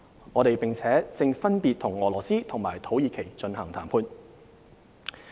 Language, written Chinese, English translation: Cantonese, 我們並正分別與俄羅斯和土耳其進行談判。, Currently we are also negotiating IPPAs with Russia and Turkey respectively